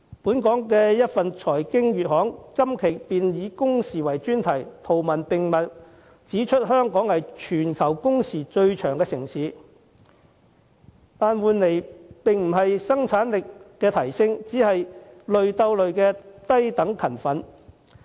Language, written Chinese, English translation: Cantonese, 一份本地財經月刊今期以工時為專題，圖文並茂，指出香港是全球工時最長的城市，但換來的並不是生產力的提升，而只是"累鬥累"的低等勤奮。, A local financial monthly features a report on working hours in its latest issue . It illustrates that Hong Kong ranks first with the longest working hours among all cities in the world . This does not mean that we have enhanced our productivity in return; it is just a low - end tiring vicious cycle